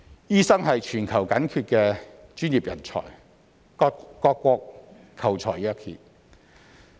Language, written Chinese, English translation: Cantonese, 醫生是全球緊缺的專業人才，各國求才若渴。, Doctors are professionals in acute demand around the world; they are the most sought - after talent of every country